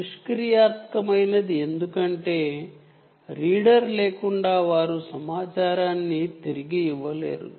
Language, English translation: Telugu, they are still called passive because without the reader, they cannot give information back